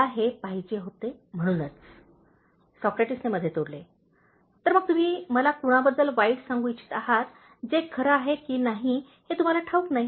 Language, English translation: Marathi, That’s the reason I wanted—” Socrates interjected, “So you want to tell me something bad about someone but don’t know if it’s true